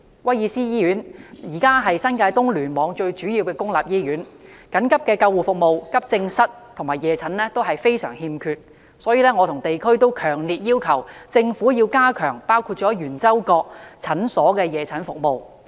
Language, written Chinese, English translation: Cantonese, 威爾斯親王醫院目前是新界東聯網最主要的公立醫院，緊急救護服務、急症室和夜診服務均非常欠缺，所以我和地區人士皆強烈要求政府加強包括圓洲角診所的夜診服務。, At present the Prince of Wales Hospital PWH is the leading public hospital in the New Territories East Cluster . But its emergency ambulance services AE services and night clinic services are far from being adequate . That is why the local community and I have strongly requested the Government to enhance the night services of clinics including the Yuen Chau Kok General Out - patient Clinic